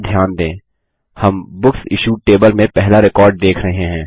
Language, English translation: Hindi, Notice here, that we are seeing the first record in the Books Issued Table